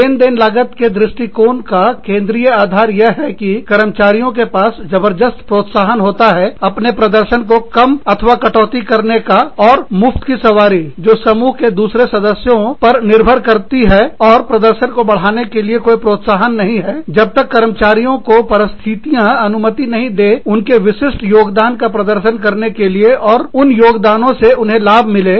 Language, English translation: Hindi, The central premise, of the transaction cost approach is, that the employees have strong incentives to shirk, or reduce their performance, and freeride, which is rely on the efforts of others in the group, and no incentive, to increase their performance, unless task conditions allow employees to demonstrate their unique contributions, and to benefit, from these contributions